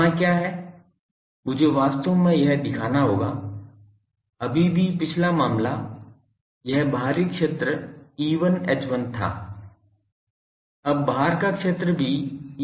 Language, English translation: Hindi, What is there I will have to show that actually ; still previous case this outside field was E1 H1 now also outside field is E1 H1